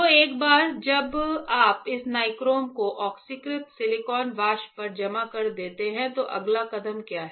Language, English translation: Hindi, So, once you deposit this the nichrome on the oxidized silicon vapor, then what is the next step